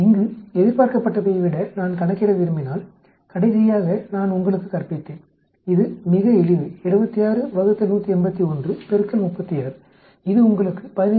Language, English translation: Tamil, If I want to calculate what is the expected here, I taught you last time it is quite simple 76 divided by 181 multiplied by 36 that will give you 15